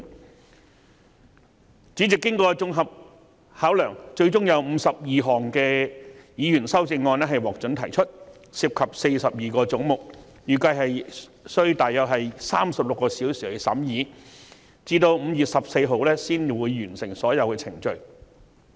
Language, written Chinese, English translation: Cantonese, 經主席作綜合考量後，最終有52項議員修正案獲准提出，當中涉及42個總目，預計需要約36小時進行審議，直至5月14日才可完成所有程序。, Following comprehensive consideration by the Chairman 52 Members amendments involving 42 heads are admitted eventually . It is estimated that the scrutiny of the Bill will take about 36 hours and all proceedings will only be concluded on 14 May